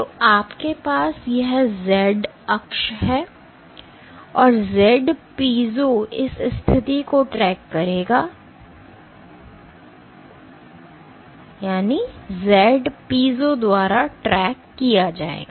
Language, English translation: Hindi, So, you have this z axis the z piezo will track this position, tracked by z piezo